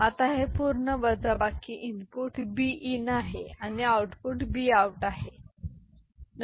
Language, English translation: Marathi, Now this full subtractor, there is input b in and there is output b out, ok